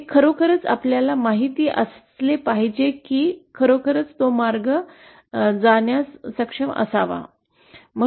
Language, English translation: Marathi, It should actually you know we should actually be able to realize that path